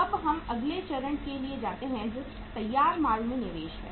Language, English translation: Hindi, Now we go for the next stage that is the investment in the finished goods